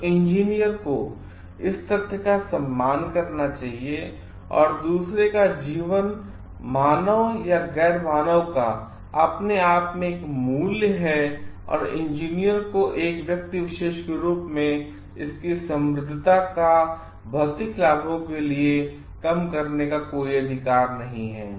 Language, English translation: Hindi, So, engineer should respect the fact the other life whether human or non human has a value in itself and engineers as individuals have no right to reduce it is richness for materialistic benefits